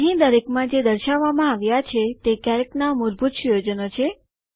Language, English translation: Gujarati, Displayed in each of these are the default settings of Calc